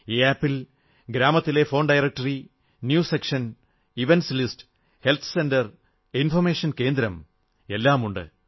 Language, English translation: Malayalam, This App contains phone directory, News section, events list, health centre and information centre of the village